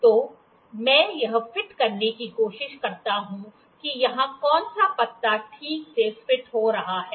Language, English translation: Hindi, So, let me try to fit which of the leaf is fitting properly here